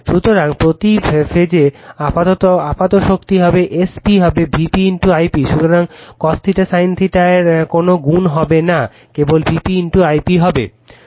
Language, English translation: Bengali, So, the apparent power per phase will be S p will be is equal to V p into I p right, so no multiplied of cos theta sin theta, simply will be V p into I p